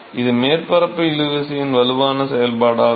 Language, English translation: Tamil, So, it is a strong function of the surface tension